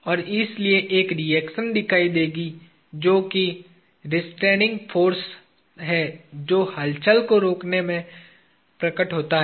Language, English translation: Hindi, And therefore, there will be a reaction that will appear, which is the restraining force that appears in restraining the movement